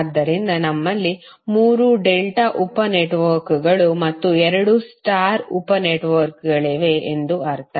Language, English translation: Kannada, So it means that we have 3 delta sub networks and 2 star sub networks